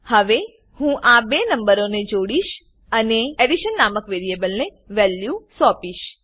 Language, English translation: Gujarati, Now I added these two numbers and assign the value to a third variable named addition